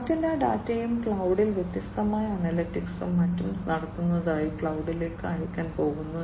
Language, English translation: Malayalam, And all the other data are going to be sent to the cloud for performing different analytics and so on at the cloud